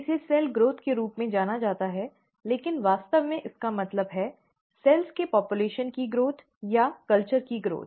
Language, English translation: Hindi, It is referred to as cell growth, but actually means the growth of a population of cells or the growth of culture